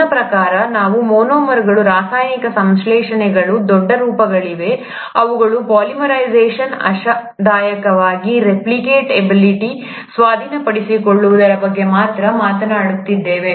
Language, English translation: Kannada, I mean all this while we are only talking about chemical synthesis of monomers, their polymerization to larger forms, hopefully acquisition of replicative ability